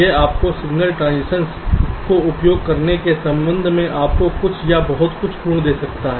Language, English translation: Hindi, this can give you or give us some very good properties with respect to reducing signal transitions